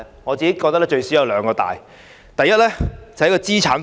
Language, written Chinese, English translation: Cantonese, 我認為最少有兩大：第一，是在資產方面。, I think it is big in two dimensions at least . First it is about its assets